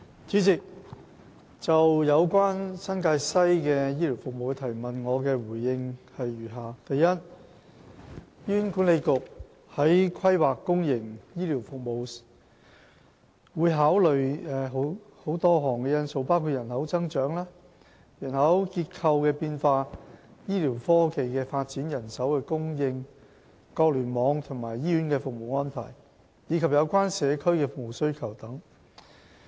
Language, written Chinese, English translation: Cantonese, 主席，就有關新界西的醫療服務的質詢，我答覆如下：一醫院管理局在規劃公營醫療服務時，會考慮多項因素，包括人口增長、人口結構變化、醫療科技發展、人手供應、各聯網和醫院的服務安排，以及有關社區的服務需求等。, President my reply to the question relating to health care services in the New Territories West NTW is as follows 1 In planning for the provision of public health care services the Hospital Authority HA will take into account a number of factors including population growth demographic changes advancement in medical technology manpower provision organization of services of the clusters and hospitals service demand of local communities etc